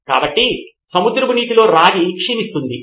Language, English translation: Telugu, So copper in seawater becomes corroded